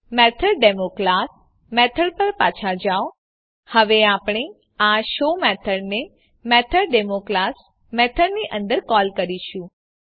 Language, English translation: Gujarati, Go back to MethodDemo class Now we will call this show method inside the method MethodDemo class